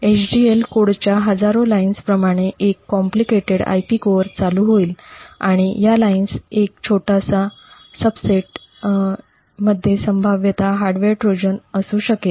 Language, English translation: Marathi, A complicated IP core would run into like tens of thousands of lines of HDL code and a very small subset of these lines could potentially be having a hardware Trojan